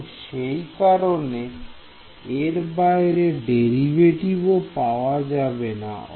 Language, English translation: Bengali, So, that derivatives also not define outside